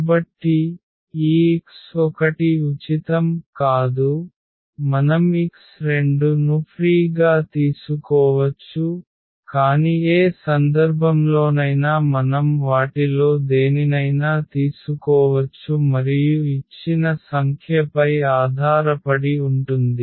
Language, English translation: Telugu, So, this x 1 is not free and then we can take as x 2 free, but any case in any case we can take any one of them and the other one will depend on the given chosen number